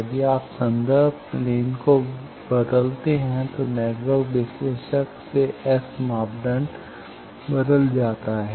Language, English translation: Hindi, If you change the reference plane, the network analyser S parameter gets changed